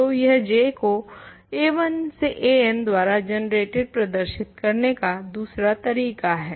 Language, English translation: Hindi, So, this is another argument to show that J is equal to the ideal generated by a 1 through a n